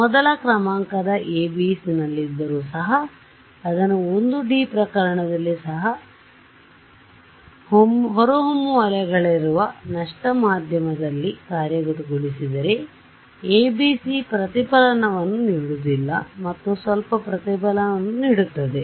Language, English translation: Kannada, We were saying that absorbing boundary condition the first order ABC even if I have, if I implement it in a lossy medium where there are evanescent waves even in a 1D case the ABC does not gives you a reflection and gives some reflection